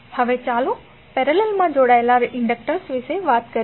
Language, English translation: Gujarati, Now, let us talk about the inductors connected in parallel